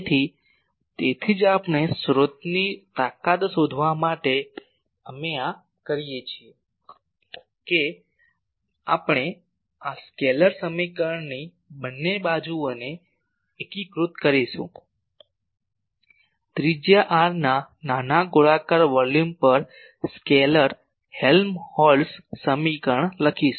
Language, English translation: Gujarati, So, that is why we actually to find the source strength, we do this that we integrate the both sides of this scalar equation, scalar Helmholtz equation over a small spherical volume of radius r